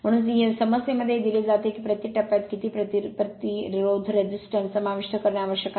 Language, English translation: Marathi, Therefore, in the problem it is given how much resistance must be included per phase